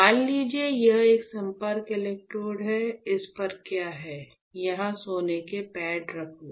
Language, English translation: Hindi, Let us say, it is a contact electrode alright; on this what you have is, you have a gold pad here right